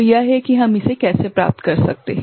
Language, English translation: Hindi, So, that is how we can get it right